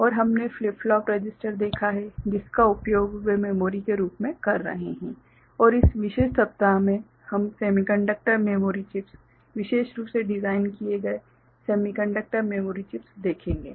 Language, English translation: Hindi, And ,we have seen flip flop register they are being used as memory and in this particular week we shall look more into semiconductor memory chips, specially designed semiconductor memory chips